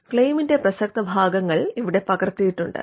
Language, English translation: Malayalam, That the elements of the claim have been captured here